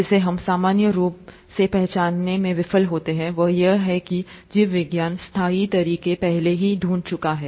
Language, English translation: Hindi, What we normally fail to recognize, is that biology has already found sustainable methods